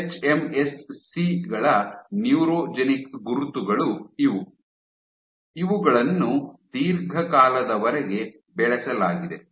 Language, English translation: Kannada, So, these are the neurogenic markers of hMSCs which have been cultured for long term